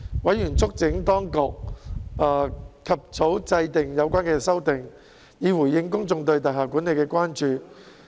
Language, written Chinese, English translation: Cantonese, 委員促請當局及早制定有關的修訂，以回應公眾對大廈管理的關注。, Members urged for the early enactment of the relevant amendments in order to address public concern about building management